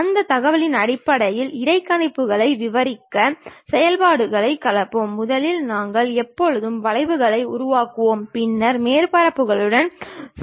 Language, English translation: Tamil, Based on that information we will blend the functions to describe the interpolations and first we will always construct curves and then we will go with surfaces